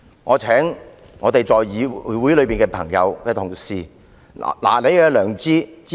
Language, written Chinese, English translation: Cantonese, 我請議會內的朋友、同事拿出你的良知，支持這項議案。, I call on Honourable colleagues in the legislature to act according to their conscience and support the motions